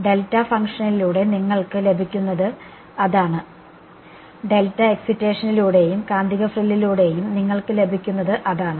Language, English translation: Malayalam, That is what you get with delta testing function, I mean with the delta excitation and with the magnetic frill what you get is